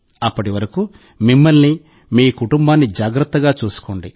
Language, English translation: Telugu, Till then please take care of yourself and your family as well